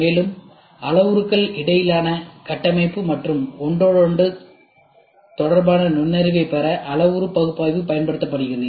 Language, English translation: Tamil, Also, parametric analysis is used to gain insight into the structure and interrelationship between the parameters